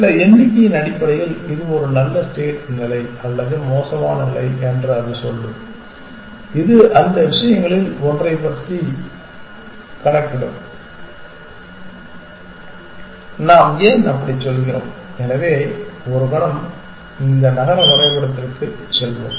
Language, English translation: Tamil, It will say this is a good state or a bad state in terms of some number which it will compute using one of those things why do we say that, so let us go back to this city map example for a moment